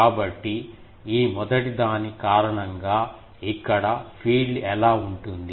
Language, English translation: Telugu, So, due to this first one what will be the field here